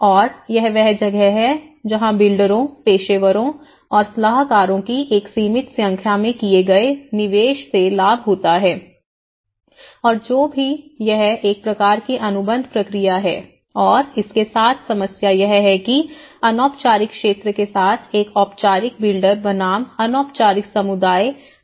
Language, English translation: Hindi, And this is where, a restricted number of builders, professionals and advisors benefit from the investment made and whatever it is a kind of contractual process and this the problem with this is where a formal builder versus with the informal sector, the informal communities